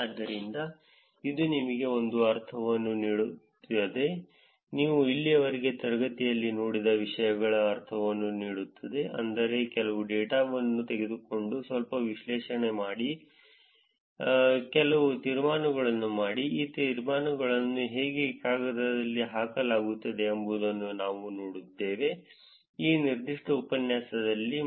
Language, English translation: Kannada, So, that gives you a sense of how a paper meaning the things that you have seen in the class until now which is to look at take some data do some analysis, make some inferences, how these inferences are put into paper is what we saw in this particular lecture